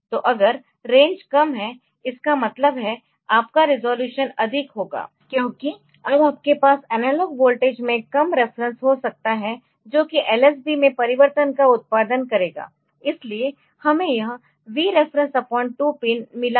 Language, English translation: Hindi, So, if the range is less; that means, you are your resolution will be higher because now you can have less reference in the lsb in the analog voltage that will produce change in the lsb so, we have got this Vref by 2 pin